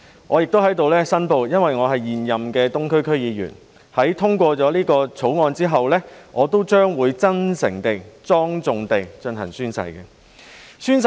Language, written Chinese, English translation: Cantonese, 我亦在此申報，由於我是現任東區區議員，在通過《條例草案》後，我也會真誠地及莊重地進行宣誓。, As I am an incumbent member of the Eastern District Council DC I hereby declare that I will take the oath sincerely and solemnly after the passage of the Bill